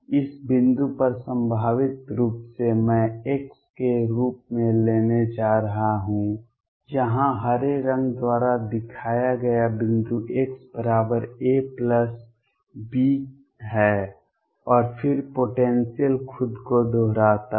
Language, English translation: Hindi, This point at one edge of the potentially I am going to take as x, the point here shown by green is x equals a plus b and then the potential repeat itself